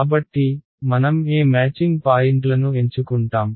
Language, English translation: Telugu, So, what matching points will we choose